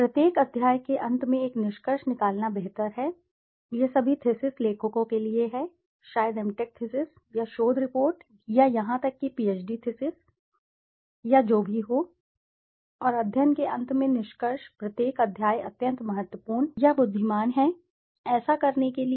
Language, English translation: Hindi, It is better to have a conclusion at the end of each chapter, this is for all thesis writers, maybe M Tech thesis or research reports or even PhD thesis or whatever, and conclusion at the end of the study each chapter is extremely important or wise to do that